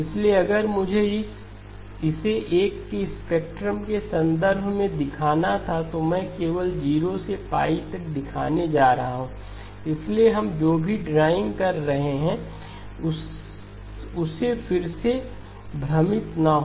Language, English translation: Hindi, So if I were to show it in terms of a spectrum, I am going to show only from 0 to pi, so again do not be confused by what we are drawing